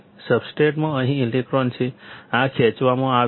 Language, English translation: Gujarati, The electrons here, in the substrate; this will be pulled up